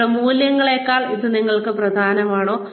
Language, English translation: Malayalam, Is it more important for you than, your values